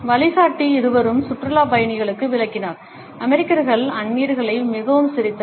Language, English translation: Tamil, Guide both explained to tourists that Americans smiled the strangers a lot